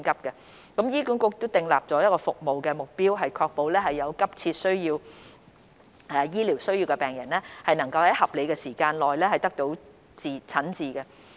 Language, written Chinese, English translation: Cantonese, 醫管局已訂立服務目標，以確保有急切醫療需要的病人能在合理的時間內得到診治。, HA has set performance pledges to ensure that patients who need urgent medical attention are treated within a reasonable time